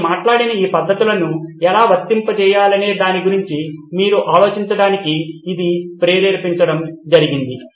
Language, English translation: Telugu, This is just to trigger to get you thinking about how to apply these methods that I talked about